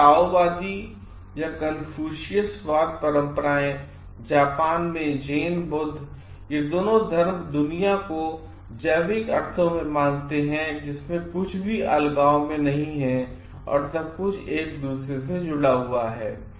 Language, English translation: Hindi, Taoist and Confucianism traditions in China, Zen Buddhist in Japan both these religions consider whole world in it is organic sense with nothing existing in isolation and everything connected to each other